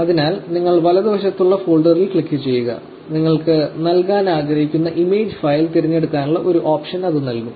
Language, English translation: Malayalam, So, you click on the folder on the right and it will give an option to select the image file that you want to give it